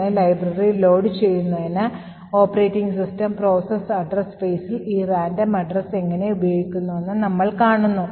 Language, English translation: Malayalam, Thus, we see how the operating system uses some random location in the process address space in order to load the library